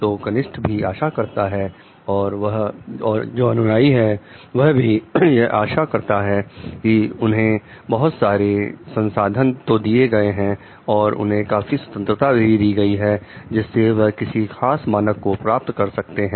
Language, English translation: Hindi, The juniors also will expect the followers also will expect like they are given enough resources they are given enough freedom to perform to meet the particular standard